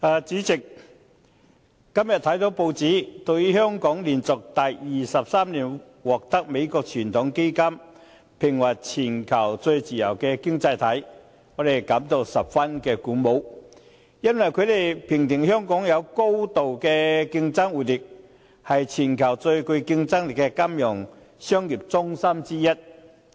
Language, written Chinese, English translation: Cantonese, 主席，今天看到報章，對於香港連續第二十三年獲美國傳統基金會評為全球最自由經濟體，我們感到十分鼓舞，因為香港被評選為具高度經濟活力，是全球最具競爭力的金融商業中心之一。, President we find it very encouraging to learn from the newspapers today the ranking of Hong Kong by the Heritage Foundation from the United States as the worlds freest economy for the 23 consecutive year because Hong Kong was selected as one of the worlds most competitive financial and business centres for its high economic vitality